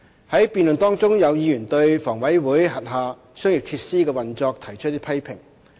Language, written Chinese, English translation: Cantonese, 在辯論中，有議員對房委會轄下商業設施的運作提出批評。, In the debate some Members criticized the operation of the commercial facilities under HA